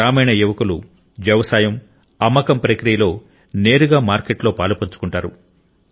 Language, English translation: Telugu, The rural youth are directly involved in the process of farming and selling to this market